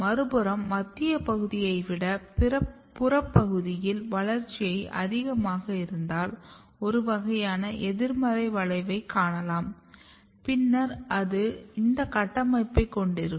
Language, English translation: Tamil, On the other hand if growth is more in the peripheral region, then the central region then you will have a kind of negative curvature and then you can have this structure